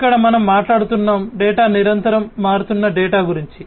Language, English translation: Telugu, Here we are talking about the data whose meaning is constantly changing, right